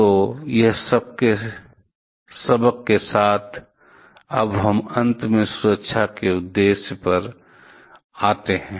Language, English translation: Hindi, So, with all this lessons; now we finally come to the safety objective